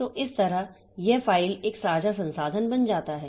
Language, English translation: Hindi, So, this way this file becomes a shared resource